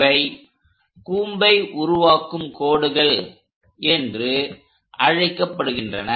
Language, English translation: Tamil, So, these are called generated lines of the cone